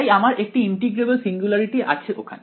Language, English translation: Bengali, So, you have a integrable singularity over here